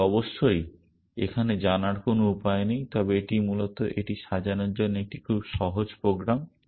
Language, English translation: Bengali, But of course, there is no way of knowing that here, but it is a very simple program to sort in this essentially